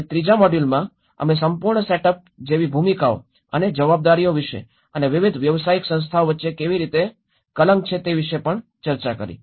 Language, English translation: Gujarati, And in the third module, we also discussed about the roles and the responsibilities like the whole setup and how there is a jargon between different professional bodies